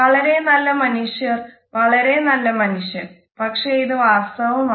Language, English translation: Malayalam, Very good man very good man, but is it all genuine